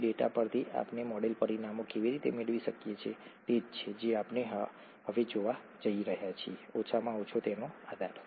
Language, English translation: Gujarati, From that data, how do we get the model parameters, is what we are going to look at now, at least a basis of that